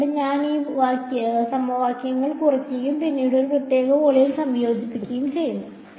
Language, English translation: Malayalam, Here that is why I am subtracting these equation and then integrating over one particular volume